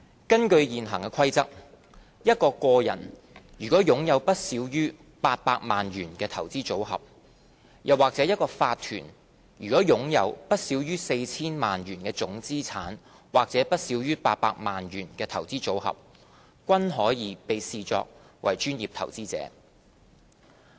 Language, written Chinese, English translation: Cantonese, 根據現行《規則》，一個個人如擁有不少於800萬元的投資組合，又或一個法團如擁有不少於 4,000 萬元的總資產，或不少於800萬元的投資組合，均可被視作專業投資者。, According to the existing PI Rules an individual having a portfolio of not less than 8 million or a corporation having total assets of not less than 40 million or a portfolio of not less than 8 million can be regarded as a professional investor